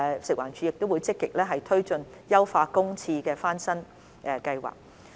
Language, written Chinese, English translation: Cantonese, 食環署亦會積極推進優化公廁翻新計劃。, FEHD will also actively implement the Enhanced Public Toilet Refurbishment Programme